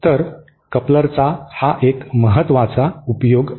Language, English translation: Marathi, So, this is 1 important application of a coupler